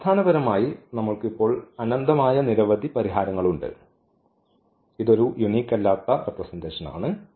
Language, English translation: Malayalam, We have basically infinitely many solutions now so, this is a non unique representation in the first two examples we have a unique representation